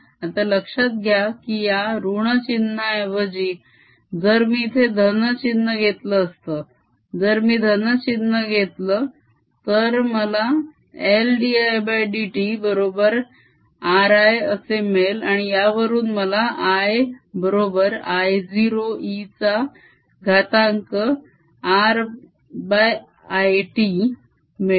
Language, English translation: Marathi, now notice if, instead of this minus sign here, if i had a plus sign, if i had a plus sign, i'll get l d i by d t equals r i